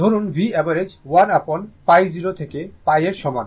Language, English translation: Bengali, Say, V average is equal to 1 upon pi 0 to pi right